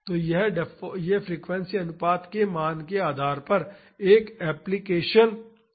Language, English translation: Hindi, So, this is an amplification or reduction factor depending upon the value of the frequency ratio